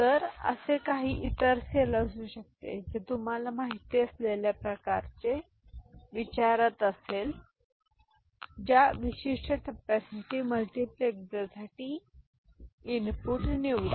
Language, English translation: Marathi, So, there could be other such cell which is asking for same kind of you know, select input for the multiplexer for that particular stage